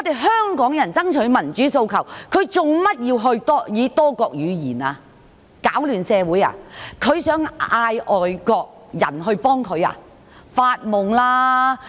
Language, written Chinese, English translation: Cantonese, 香港人爭取民主訴求，他為何要以多國語言讀出，想攪亂社會，想叫外國人幫忙嗎？, Why should the democratic demands of Hong Kong people be read out in many languages? . Does the convener intend to create chaos in society and does he want to seek help from overseas countries?